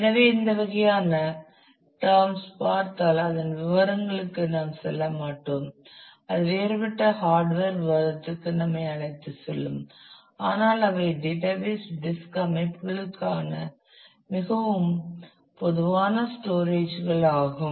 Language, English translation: Tamil, So, if you come across these terms we will not go into details of that that takes us into a different course of hardware discussion, but these are the very common storages for database disk systems